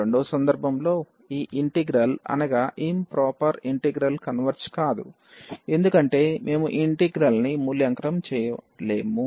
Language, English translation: Telugu, In the second case this integral the improper integral does not converge because we cannot evaluate this integral, ok